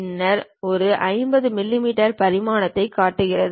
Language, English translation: Tamil, Then it shows you 50 mm dimension